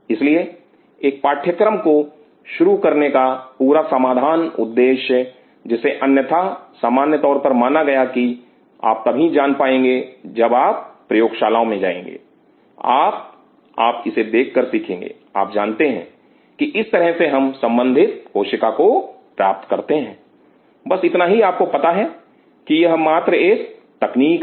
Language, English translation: Hindi, So, the whole solve purpose of introducing a course which otherwise always believing as a simple you know when you go to a lab, you will learn from this seeing you know this is how yield culture cell, that is it you know that is just a technique